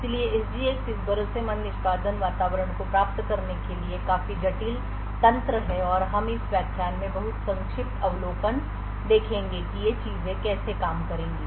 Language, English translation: Hindi, So SGX is quite a complicated mechanism to achieve this trusted execution environment and we will just see a very brief overview in this lecture about how these things would work